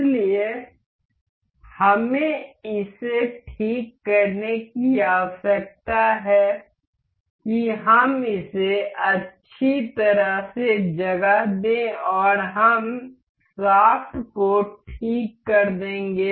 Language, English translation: Hindi, So, we need to fix it let us just place it well and we will fix the shaft